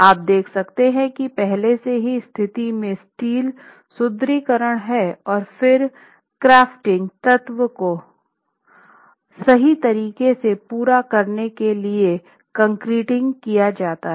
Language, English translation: Hindi, have the steel reinforcement in position already and then concreting is done to complete the confining element